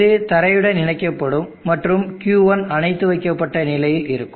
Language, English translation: Tamil, Thus will be grounded and Q1 will be in the off condition